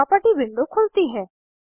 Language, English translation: Hindi, Property window opens